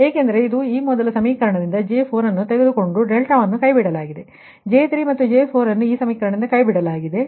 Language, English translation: Kannada, so delta, this is dropped, this is dropped, this one, j three and j four dropped from this equation